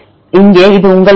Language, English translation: Tamil, Here this is your sequence